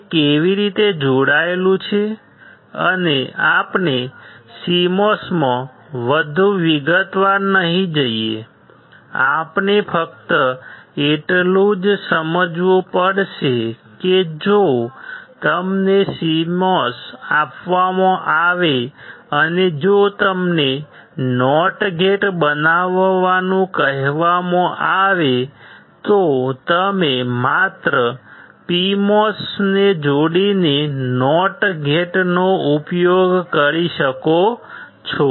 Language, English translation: Gujarati, It is how it is connected and we will not go too much detail into CMOS, we have to just understand that if you are given a CMOS and if you are asked to form a not gate, you can use a not gate by just attaching PMOS to N mos, and the advantage of CMOS is at one time only it will only dissipate the power when it is in the on state